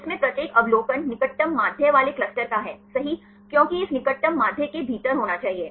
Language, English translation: Hindi, In which each observation belongs to the cluster with the nearest mean right because there should be within this nearest mean